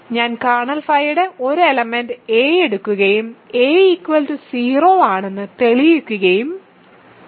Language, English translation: Malayalam, So, I have taken an arbitrary element of kernel phi and I have concluded that a is 0